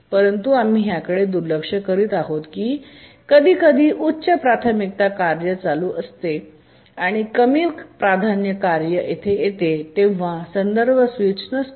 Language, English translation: Marathi, But we are overlooking that sometimes a higher priority task may be running and a lower priority task arrives and there is no context switch